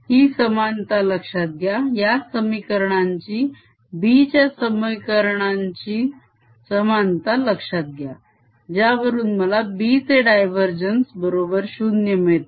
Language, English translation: Marathi, notice the similarity, notice the similarity of these equations, the equations for b which give me the divergence of b zero and curl of b is equal to mu, not j